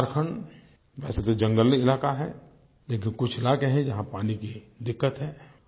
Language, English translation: Hindi, Jharkhand, although being a predominantly forest area, still has some parts which face water problem